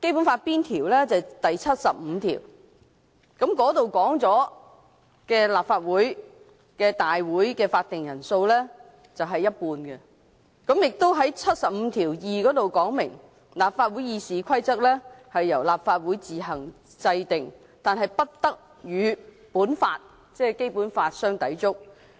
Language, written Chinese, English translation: Cantonese, 就是第七十五條，當中訂明立法會舉行會議的法定人數為不少於全體議員的一半；第七十五條第二款亦訂明，"立法會議事規則由立法會自行制定，但不得與本法相抵觸"。, It is Article 75 which states that the quorum for the meeting of the Legislative Council shall be not less than one half of all its members . It is also stipulated in Article 752 that [t]he rules of procedure of the Legislative Council shall be made by the Council on its own provided that they do not contravene this Law